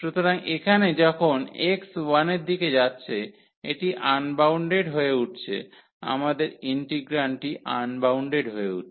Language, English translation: Bengali, So, here when x approaching to 1 this is becoming unbounded our integrand is becoming unbounded